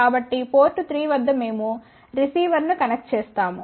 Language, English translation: Telugu, So, at port 3 we connect receiver